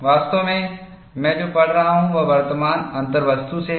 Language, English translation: Hindi, In fact, what I am reading is from Current Contents